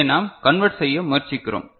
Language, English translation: Tamil, that you know we are trying to convert